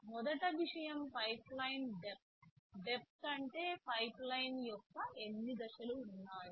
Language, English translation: Telugu, First thing is pipeline depth; depth means how many stages of the pipeline are there